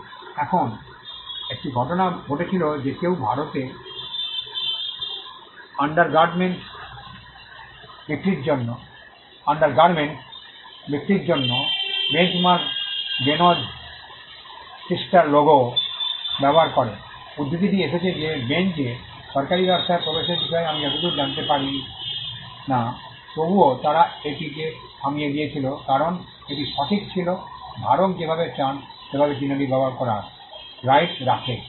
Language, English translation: Bengali, Now, there was a case where someone use the Benchmark the Benz Tristar logo for selling undergarments in India, the quote came Benz had no idea as far as I know of entering into the government business, but still they stopped it because that was the right holder has the right to use the mark in the way he or she wants